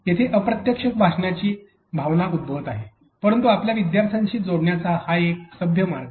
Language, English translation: Marathi, So, there is a sense of indirect speech that is happening, but a polite way of connected connecting to your students